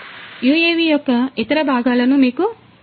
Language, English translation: Telugu, Now, let me show you the other parts of the UAV